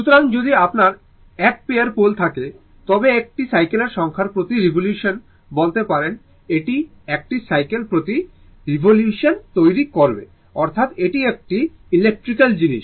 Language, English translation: Bengali, So, if you have 1 pair of poles, it will may your what you call it is number of cycles per revolution, it will make 1 cycle per revolution, that is your it is you know it is electrical thing